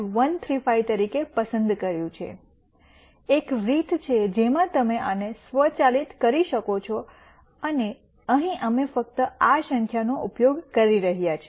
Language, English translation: Gujarati, 135 here, there is a way in which you can automate this and here we are just using this number